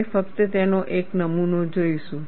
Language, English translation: Gujarati, We have, we will just see a sample of it